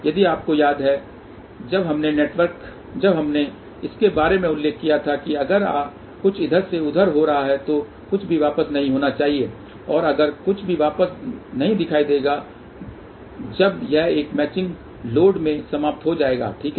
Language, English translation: Hindi, If you recall when we had mentioned about it that if something is going from here and over here, so nothing should reflect path and if nothing will reflect, but only when it is terminated into a match load, ok